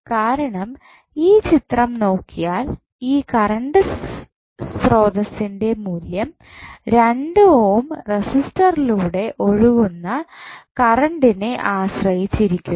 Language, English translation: Malayalam, Because if you see this figure the value of this particular current source is depending upon the current flowing through 2 ohm resistance